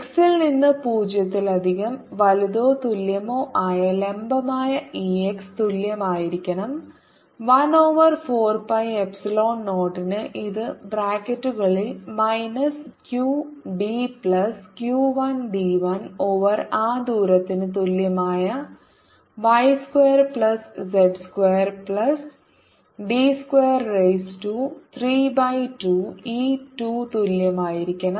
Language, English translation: Malayalam, and d perpendicular from x greater than or equal to zero side is going to be only e x, which is equal to one over four, pi epsilon zero in the brackets, minus q d plus q one, d one over that distance, y square plus z square plus d square, raise to three by two